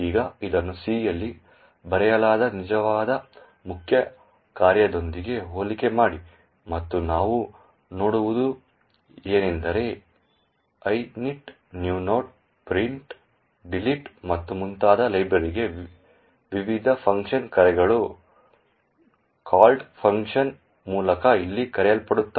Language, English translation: Kannada, Now, compare this with the actual main function written in C and what we see is that the various function calls to the library like init, new node, print, delete and so on are all invoked over here through the called function